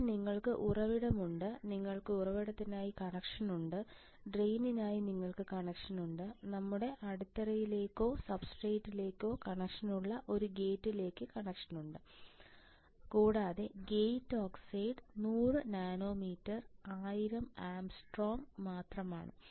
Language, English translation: Malayalam, Now you have source you have drain you have connection for source, you have connection for drain you have connection for a gate you have connection for your base or substrate right and you can see here the gate oxide is only 100 nanometre 1000 angstrom